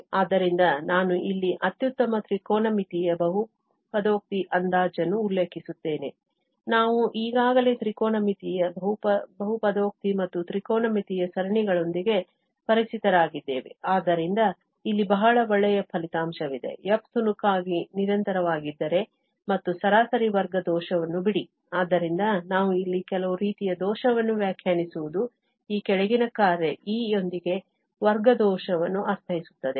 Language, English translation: Kannada, So, I will just mention here the best trigonometric polynomial approximation, we are familiar with the trigonometric polynomial and trigonometric series already, so, here is a very nice result that if f is piecewise continuous and let the mean square error, so, we are defining some kind of error here which is mean square error with this following function E